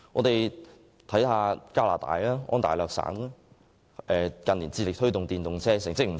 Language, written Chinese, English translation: Cantonese, 當地近年致力推動使用電動車，成績亦不錯。, Over recent years Ontario has striven to promote the use of EVs and the result is quite good